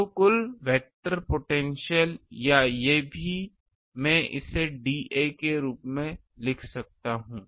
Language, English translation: Hindi, So, total vector potential or these also I can write it as dA